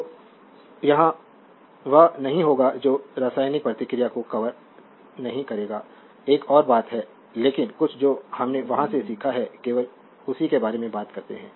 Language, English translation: Hindi, So, here will not your what you call here will not cover to the chemical reaction another thing, but some whatever we have learn from there only we talk about that